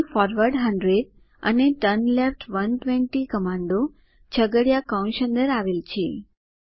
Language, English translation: Gujarati, Here the commands forward 100 and turnleft 120 are within curly brackets